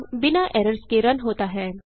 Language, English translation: Hindi, Program runs without errors